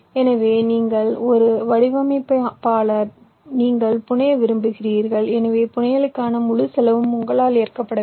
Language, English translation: Tamil, so means you are a designer, you want to fabricate, so the entire cost of fabrication have to be borne by you